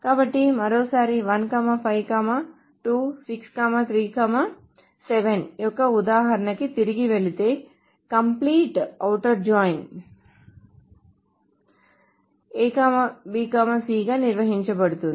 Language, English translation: Telugu, So once more going to that, if we go back to this example of 152637, then the complete outer join S is defined as A, B, C